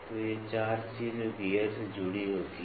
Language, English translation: Hindi, So, these are the 5 things which are 4 things which are attached to gear